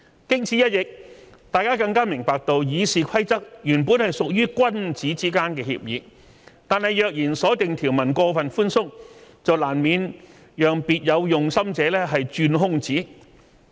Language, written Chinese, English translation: Cantonese, 經此一役，大家更加明白到《議事規則》原本屬於君子之間的協議，但若然所訂條文過分寬鬆，便難免讓別有用心者鑽空子。, After this incident we understand that RoP is originally a gentlemans agreement but if the provisions are too loose people who have ulterior motives may take advantage of the rules